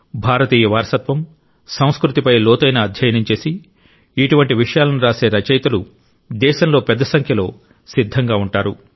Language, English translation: Telugu, Writers who write on such subjects, who have studied deeply Indian heritage and culture, will come forth in large numbers in the country